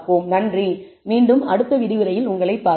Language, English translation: Tamil, So, see you in the next lecture